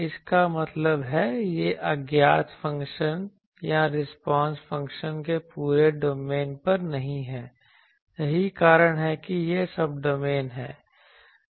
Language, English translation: Hindi, That means, it is not over the whole domain of the unknown function or the response function that is why it is Subdomain